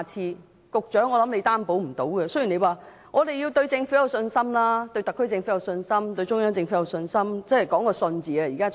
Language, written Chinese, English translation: Cantonese, 我想局長無法擔保，雖然他叫大家對政府有信心，對特區政府有信心，對中央政府有信心，真的是講求一個"信"字。, I think the Secretary is unable to give us a guarantee even though he asks us to have confidence in the Governments in the SAR Government as well as the Central Government . It is really a matter of trust